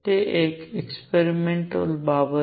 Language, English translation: Gujarati, That is one experimental thing